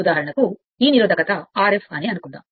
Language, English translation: Telugu, For example, suppose this resistance is R f right